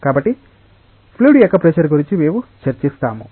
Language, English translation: Telugu, So, we will discuss something about the pressure of the fluid